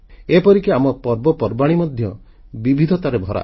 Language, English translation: Odia, Even our festivals are replete with diversity